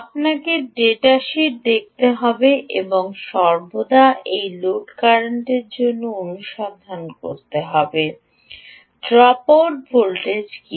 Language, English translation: Bengali, ah, you have to look at the data sheet and always discover for this load current what is the dropout voltage